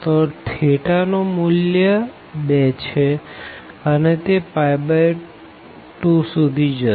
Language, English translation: Gujarati, So, theta vary from this 2, it will go up to pi by 2